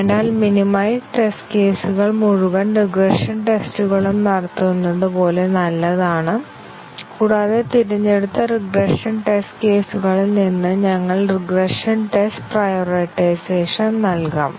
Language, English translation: Malayalam, So, the minimized set of test cases is as good as running the entire regression tests and we might also do regression test prioritization out of the regression test cases that have been selected